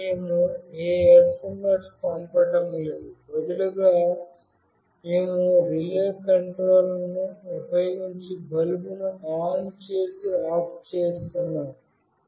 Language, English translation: Telugu, There we are not sending any SMS, rather we are just switching ON and OFF a bulb using relay control